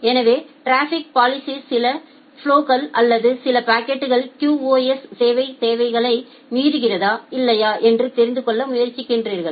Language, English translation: Tamil, So, traffic policing what it tries to do it just looks that whether certain flows or certain packets are violating the QoS service requirements or not